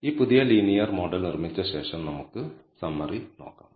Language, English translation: Malayalam, Now, after building this new linear model let us take a look at the summary